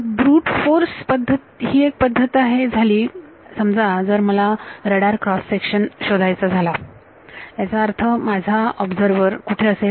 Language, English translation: Marathi, Brute force way is one way suppose I want to find out radar cross section; that means, my observer is where